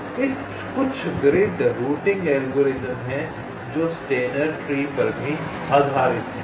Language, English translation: Hindi, so there are some grid routing algorithms which are also based on steiner tree